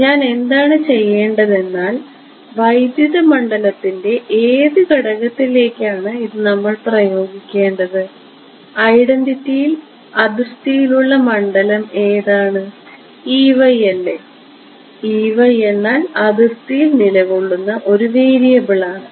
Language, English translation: Malayalam, And what do I want to do is want to impose which component of electric field should this we apply to in the identities which is the field on boundary E y right E y is the variable that is lying on the boundary